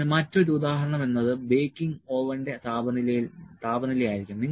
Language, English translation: Malayalam, So, then other example may be the temperature of a may be the baking oven